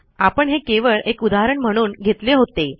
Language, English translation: Marathi, But I was just giving you an example